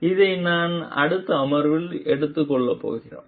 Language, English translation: Tamil, So, this we are going to take up in the next session